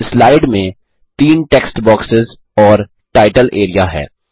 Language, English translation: Hindi, The slide now has three text boxes and a title area